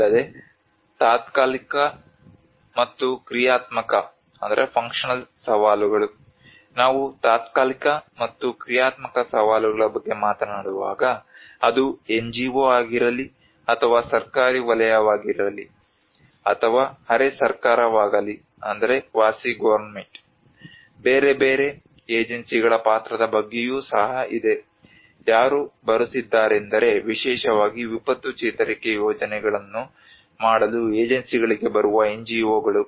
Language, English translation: Kannada, Also, the temporal and functional challenges; when we talk about the temporal and functional challenges, it is also about the role of different agencies whether it is an NGO or a government sector or quasi government which whoever are coming so especially the NGOs who are coming the agencies to do the disaster recovery projects